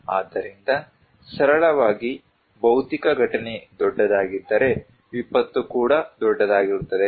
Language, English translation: Kannada, If this physical event is bigger, disaster is also big